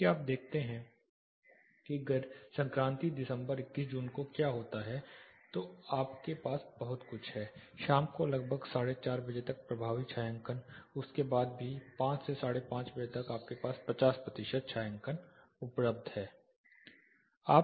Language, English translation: Hindi, If you look what happen in the summer solstice December June 21st, you have a very effective shading up till around 4:30 in the evening even after that up to 5 5:30 you have 50 percent shading available